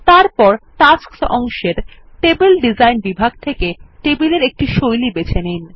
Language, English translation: Bengali, Then from the Table Design section on the Tasks pane, select a table style